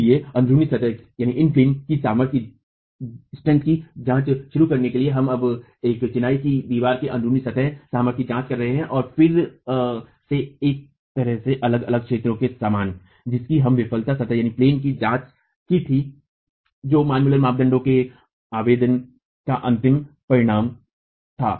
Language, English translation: Hindi, So, to start examining in plain strength, we now examining the in plain strength of a masonry wall and again in a way similar to the different zones that we examined in the failure plane which was the end result of application of the Manmuller criterion